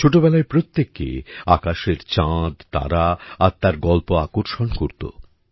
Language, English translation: Bengali, During one's childhood, stories of the moon and stars in the sky attract everyone